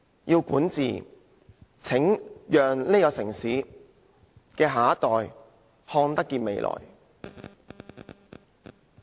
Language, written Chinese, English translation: Cantonese, 如要善治，便要讓這個城市的下一代看得見未來。, To ensure good governance we have to let the next generation of this city see a future